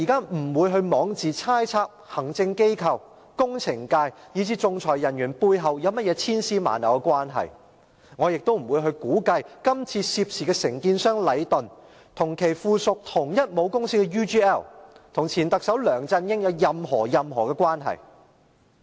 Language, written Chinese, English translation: Cantonese, 我不會枉自猜測行政機關、工程界，以至仲裁人員背後有甚麼千絲萬縷的關係，我亦不會估計這次涉事的承建商禮頓建築有限公司連同與其屬同一母公司的 UGL 和前特首梁振英有任何關係。, I will not recklessly speculate on the complex entanglements among the Executive Authorities the construction and engineering sectors and the arbitrators; nor will I assume that the contractor involved in this incident Leighton Contractors Asia Limited Leighton and UGL which belong to the same parent group have any connection with former Chief Executive LEUNG Chun - ying